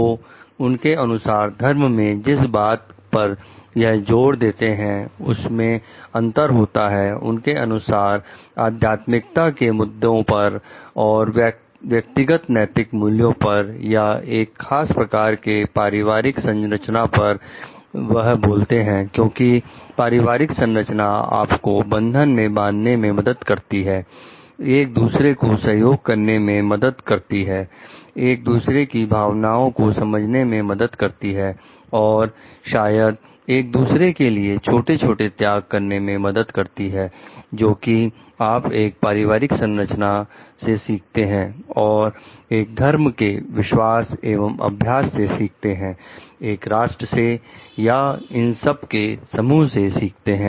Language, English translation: Hindi, So, there are there is difference between religions in their emphasis that speak like that they place on such matters as spiritual and moral values of individuals or a particular kind of family structure because, the family structure helps you to develop a bond, collaborate with each other understand each other s feelings, maybe make small sacrifices for each other that is, what you learn from a family structure and the faith and practice of a religion, of a nation or a conglomeration of the or of all these things